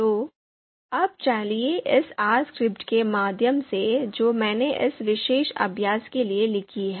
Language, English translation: Hindi, So now let’s go through this R script that I have written for this particular exercise